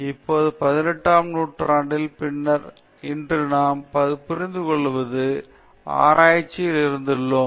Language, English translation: Tamil, Now around eighteenth century onwards the way in which research as we understand today came into existence